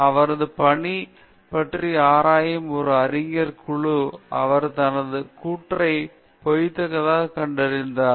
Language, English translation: Tamil, An academic panel investigating his work found that he faked his claim